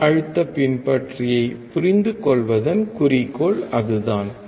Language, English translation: Tamil, That is the goal of understanding voltage follower